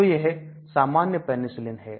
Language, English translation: Hindi, So this is the general Penicillin